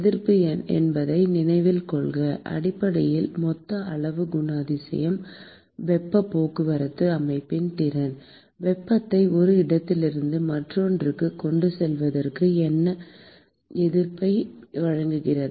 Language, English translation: Tamil, Note that the resistance is basically characterizes the total amount the ability of the system to transport heat; what is the resistance that it offers to transportation of heat from one location to the other